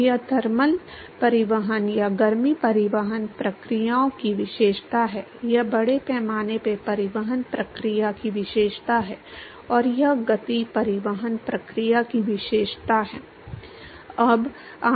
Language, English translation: Hindi, So, this characterizes the thermal transport or the heat transport processes, this characterizes the mass transport process, and this characterizes the momentum transport process